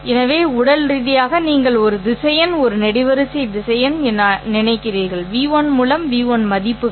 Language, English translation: Tamil, So, physically you are thinking of a vector as being a column vector with the values v1 through v